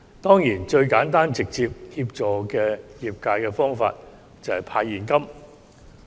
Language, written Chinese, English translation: Cantonese, 當然，最簡單直接協助業界的方法就是派現金。, Of course the simplest and most direct way to help the industry is a cash handout